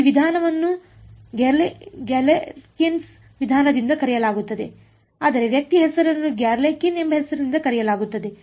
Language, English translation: Kannada, This method is given is called by the name Galerkin’s method, named after its person by the name Galerkin